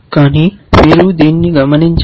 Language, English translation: Telugu, But you should observe that this one